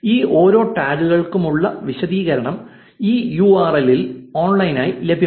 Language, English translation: Malayalam, The explanation for each of these tags is available online at this URL